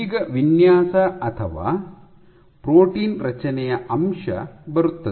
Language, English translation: Kannada, Now comes the aspect of designing or protein construct